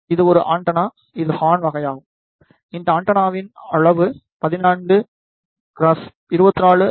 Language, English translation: Tamil, This is a antenna which is of horn type the size of this antenna is 14 cross 24 centimeter square